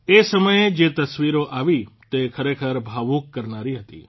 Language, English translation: Gujarati, The pictures that came up during this time were really emotional